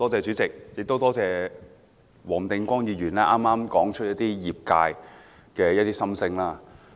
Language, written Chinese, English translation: Cantonese, 主席，多謝黃定光議員剛才說出了業界的心聲。, Chairman I thank Mr WONG Ting - kwong for voicing the industrys views just now